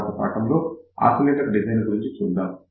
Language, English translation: Telugu, So, in the next lecture, we will look at oscillator design